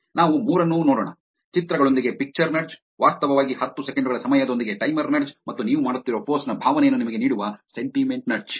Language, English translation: Kannada, Let us look at all the three picture nudge with pictures, timer nudge with actually ten seconds time, and sentiment nudge which gives you the sentiment of the post that you are making